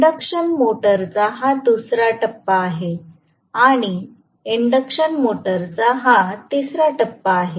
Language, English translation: Marathi, This is the second phase of the induction motor and this is the third phase of the induction motor